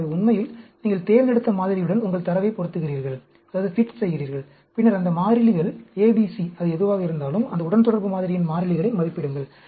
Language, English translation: Tamil, That means, you actually fit your data to the model you have selected, and then, estimate those constants, A, B, C, whatever it is, the constants of this regression model